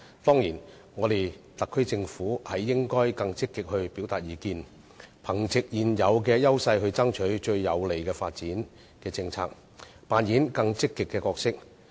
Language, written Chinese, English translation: Cantonese, 當然，特區政府應該更積極表達意見，憑藉現有優勢爭取最有利的發展政策，扮演更積極的角色。, Building on its present advantage edges the SAR Government is certainly necessary to proactively strive for the most favourable development policies and take a more active role in the development